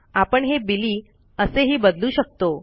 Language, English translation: Marathi, We can change this to Billy